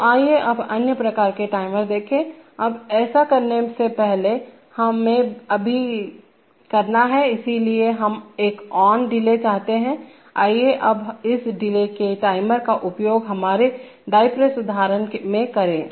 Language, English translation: Hindi, So let us see the other kinds of timers, now before doing that, let us now, so we want an ON delay, let us use this ON delay timer now in our die press example